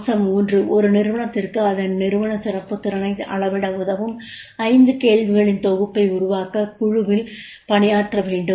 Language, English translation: Tamil, Point number two, question number two, work in group to frame a set of five questions that could help an organization measure its leadership excellence potential